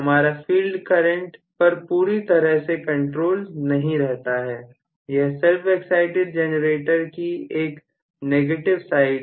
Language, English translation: Hindi, I do not have a complete control over the field current, that is going to be one of the negative sides of self excited generator